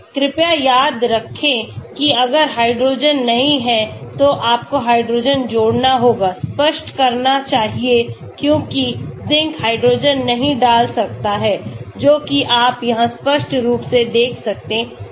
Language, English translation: Hindi, Please remember if hydrogens are not there, you must add hydrogen, make explicit because Zinc might not put hydrogen as you can see here explicitly